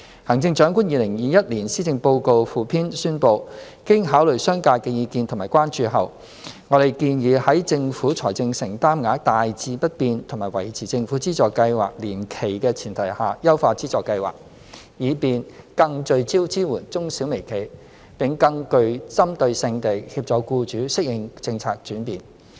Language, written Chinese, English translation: Cantonese, 《行政長官2021年施政報告附篇》宣布，經考慮商界的意見及關注後，我們建議在政府財政承擔額大致不變和維持政府資助計劃年期的前提下，優化資助計劃，以便更聚焦支援中小微企，並更具針對性地協助僱主適應政策轉變。, As announced in the Chief Executives 2021 Policy Address Supplement having considered the business sectors views and concerns we propose to refine the government subsidy scheme while maintaining roughly the same amount of Governments financial commitment and the same subsidy period so as to focus more on supporting micro small and medium - sized enterprises and provide more targeted assistance to help employers adapt to the policy change